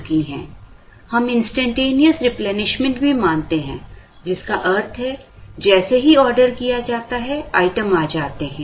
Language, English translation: Hindi, We also assume instantaneous replenishment which means, as soon as the order replaced, the items arrive